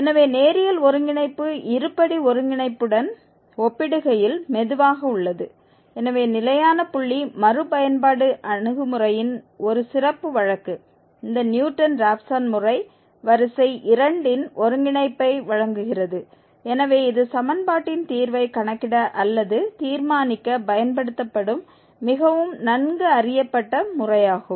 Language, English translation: Tamil, So linear convergence is slow as compared to the quadratic convergence and therefore this Newton Raphson method which is a special case of fixed point iteration approach gives the convergence of order 2 and therefore this a very well known method which is used for computing or determining the root of the equation f x is equal to 0